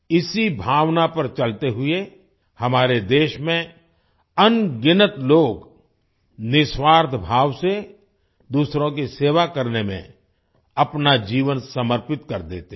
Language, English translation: Hindi, Following this sentiment, countless people in our country dedicate their lives to serving others selflessly